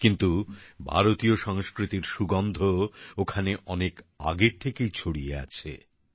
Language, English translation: Bengali, However, the fragrance of Indian culture has been there for a long time